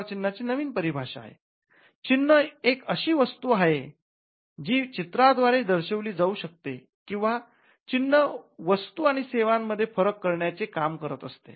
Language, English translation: Marathi, So, a mark is something that can be graphically indicated represented graphically, and it does the function of distinguishing goods and services